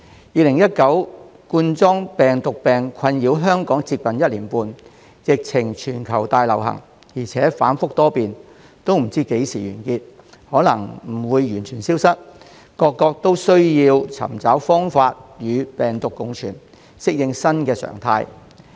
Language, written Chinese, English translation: Cantonese, 2019冠狀病毒病困擾香港接近一年半，疫情全球大流行，而且反覆多變，不知道何時完結，也有可能不會完全消失，各國都要尋求方法與病毒共存，適應新常態。, COVID - 19 has plagued Hong Kong for nearly a year and a half and has become a global pandemic . The epidemic situation has been volatile not knowing when the epidemic will end and it is possible that it may not disappear completely . Various countries must look for ways to coexist with the virus and get used to the new normal